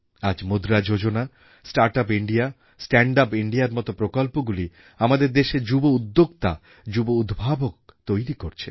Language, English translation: Bengali, Today our monetary policy, Start Up India, Stand Up India initiative have become seedbed for our young innovators and young entrepreneurs